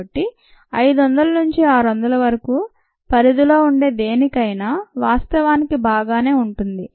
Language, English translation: Telugu, so anything in the range of five hundred to six hundred is actually fine ah